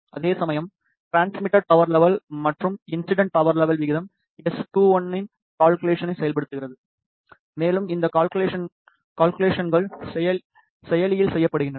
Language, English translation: Tamil, Whereas the ratio of transmitted power level and incident power level enable the calculations of S 2 1, and these calculations are performed in the processor